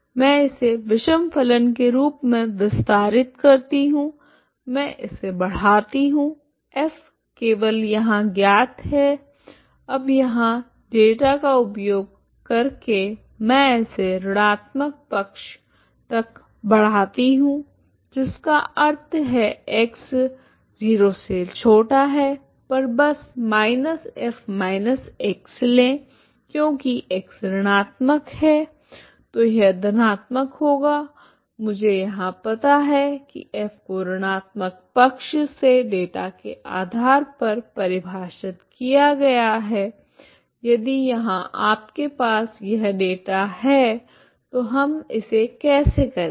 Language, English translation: Hindi, So that means for negative side I define it as odd function ok I extend it this function as odd function I extend it F is known only here now, now using the data here I extend it to the negative side that means for X negative I simply take minus of F of minus X because X is negative so it is positive that I know here I know, so F at negative side is defined based on the data here if you have a data here like this minus of this ok how do we do this